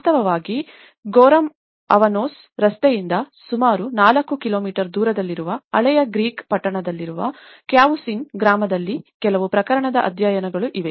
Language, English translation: Kannada, In fact, there are some of the case studies in Cavusin village in the old Greek town which is about 4 kilometres from the Goreme Avanos road